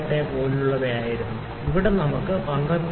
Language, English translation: Malayalam, 28 here we also can have 12